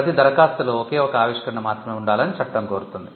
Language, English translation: Telugu, The law requires that every application should have only one invention